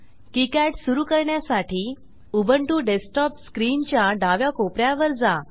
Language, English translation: Marathi, To start KiCad, Go to the top left corner of Ubuntu desktop screen